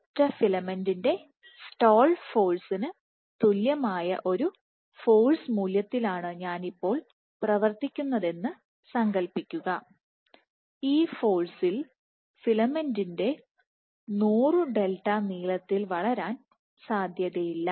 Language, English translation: Malayalam, Now imagine I am operating with a force value equal to the stall force of a single filament, at this force it is unlikely that the filament will grow to reach a length of 100 delta ok